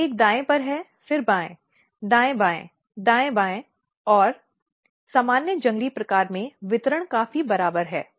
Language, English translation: Hindi, So, one right left, right left, right left and in normal wild type this distribution is quite equal